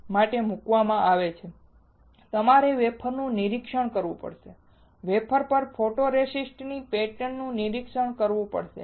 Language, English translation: Gujarati, Finally, you have to inspect the wafer and inspect the pattern of photoresist on the wafer